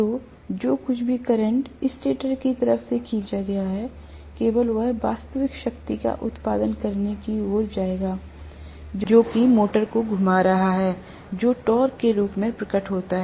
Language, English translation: Hindi, So whatever is the current drawn from the stator side only will go towards producing real power, which is in manifested in the form of torque, which is rotating the motor